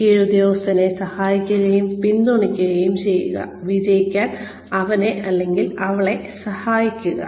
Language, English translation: Malayalam, Be helpful and supportive to the subordinate, and help him or her to succeed